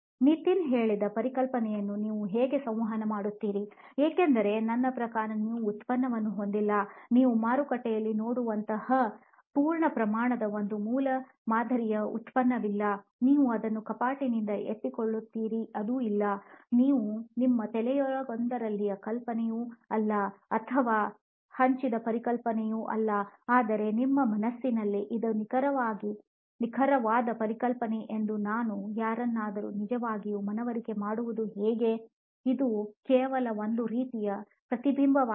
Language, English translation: Kannada, And to para phrase what Nitin said how do you communicate the concept because you have a product I mean you do have I know what do you mean by I do not have a product it is a conflict, so on the one hand you have something like a prototype it is not a full fledge product like you would see in the market, you pick it up of the shelf it is not that, but neither is it an idea that in one of our heads or in shared concept, we can see it in the front, so how do I really convince somebody that this is the exact concept I have in my mind, this is just a sort of reflection of that